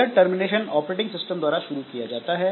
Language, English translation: Hindi, So, the termination is initiated by the operating system